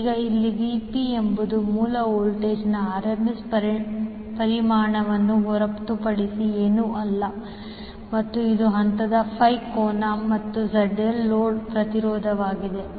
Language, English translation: Kannada, Now, here VP is nothing but the RMS magnitude of the source voltage and phi is the phase angle and Zl is the load impedance